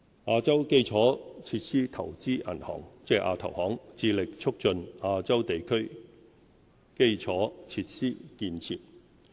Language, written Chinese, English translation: Cantonese, 亞洲基礎設施投資銀行致力促進亞洲地區基礎設施建設。, The Asian Infrastructure Investment Bank AIIB promotes infrastructure development in Asian countries